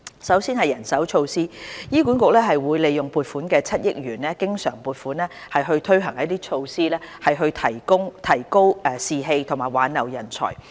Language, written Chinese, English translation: Cantonese, 首先，人手措施方面，醫管局會利用增撥的7億元經常撥款，推行措施以提高士氣和挽留人才。, First of all on manpower measures HA will allocate the additional recurrent funding of 700 million to implementing various measures to boost staff morale and retain talents